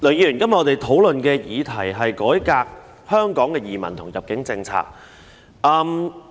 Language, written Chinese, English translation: Cantonese, 梁議員，今天討論的議題是"改革移民及入境政策"。, Mr LEUNG the subject under discussion today is Reforming the immigration and admission policies